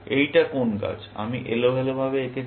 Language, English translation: Bengali, This is some tree, I have drawn randomly